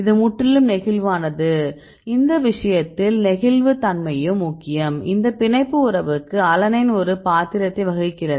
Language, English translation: Tamil, So, it is completely flexible in this case flexibility is also important plays a role for this binding affinity we take the alanine